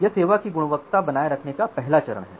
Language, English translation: Hindi, So, that is the first phase of maintaining quality of service